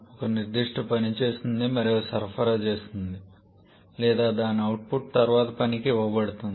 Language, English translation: Telugu, Each of the components does one specific work and supplies that or the output of that is taken to the subsequent one